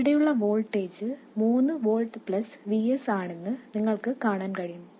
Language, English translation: Malayalam, You can see that the voltage that appears here is simply 3 volts plus VS